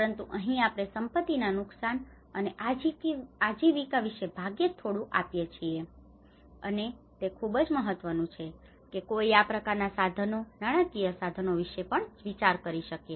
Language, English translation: Gujarati, But here we hardly give anything much about the property losses and livelihoods, and this is very important that one who can even think on these kinds of instruments, financial instruments